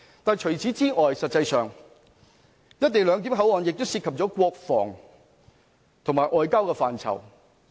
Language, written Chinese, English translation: Cantonese, 但除此之外，實際上，"一地兩檢"口岸亦涉及國防和外交的範疇。, Moreover the operation of co - location at the port area also involves defence and foreign affairs